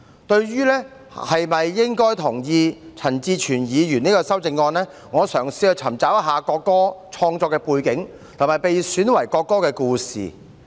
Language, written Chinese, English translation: Cantonese, 對於是否同意陳志全議員這項修正案，我嘗試尋找國歌的創作背景，以及被選為國歌的故事。, As for whether I should agree to this amendment of Mr CHAN Chi - chuen I have tried to do some research on the background for the creation of the national anthem and the story of its selection as the national anthem